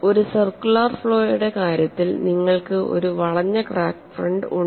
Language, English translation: Malayalam, It is been analyzed that in the case of a circular flaw you have a curved crack front